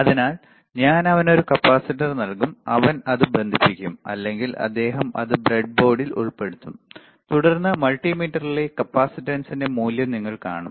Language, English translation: Malayalam, So, I will give a capacitor to him he will connect it or he will insert it in the breadboard, and then you will see the value of the capacitance on the multimeter